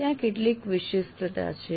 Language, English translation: Gujarati, So there is some specificity